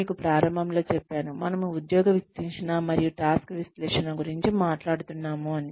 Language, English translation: Telugu, I told you in the very beginning, we were talking about job analysis, and task analysis